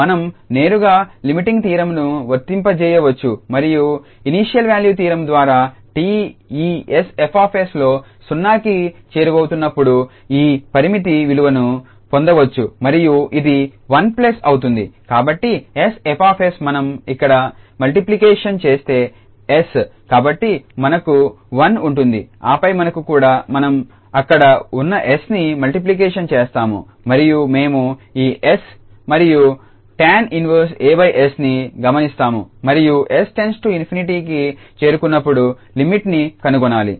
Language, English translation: Telugu, So, we can apply directly the limiting theorems and by initial value theorem we can get this limiting value as t approaches to 0 of this s F s and this will be 1 plus so s F s if we multiply this s here so we will have 1 and then here also we will multiply the s there and we will observe so this s and the tan inverse this a over s and we have to find the limit as s approaches to infinity